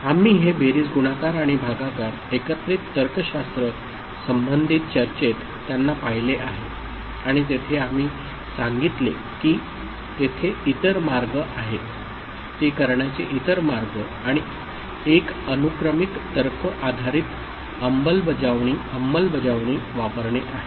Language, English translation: Marathi, We have seen them this addition, multiplication and division in combinatorial logic related discussion and there we told that there are other ways, other way to do it and one is using sequential logic based implementation